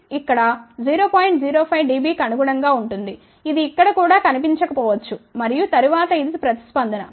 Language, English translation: Telugu, 05 dB, it may not be even visible over here and then this is the response